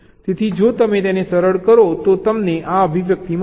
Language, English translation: Gujarati, so if you just simplify this, you get this expression